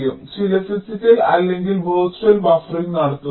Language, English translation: Malayalam, you do some physical or virtual buffering